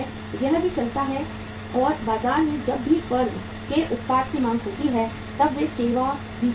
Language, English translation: Hindi, That also goes on and market is also served as and when there is a demand for the firm’s product in the market